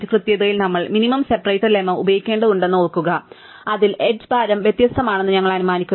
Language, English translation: Malayalam, Remember that in the correctness we have to use that minimum separator lemma in which we had assumed that edge weights are distinct